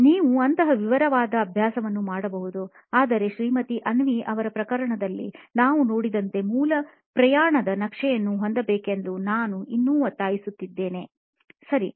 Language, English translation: Kannada, You can do such a detailing exercise but I would still insist on having the basic journey map like we saw in Mrs Avni’s case, okay